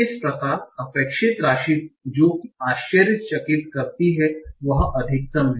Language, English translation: Hindi, So the amount of expected surprise that you will get is the maxima